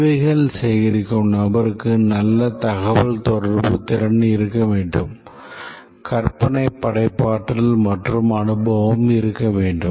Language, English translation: Tamil, The person doing the requirements gathering not only should have good communication skill, should have imagination, creativity and experience